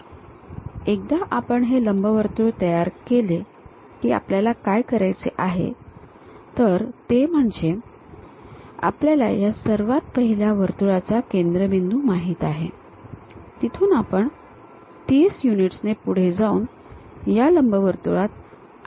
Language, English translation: Marathi, So, once we construct this ellipse what we have to do is, we know the center of that initial circle from there we go ahead by 30 units up, again construct one more transform circle into this elliptical thing